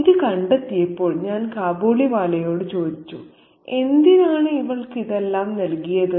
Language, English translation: Malayalam, Upon discovering this, I asked the Kabiliwala, why did you give all these to her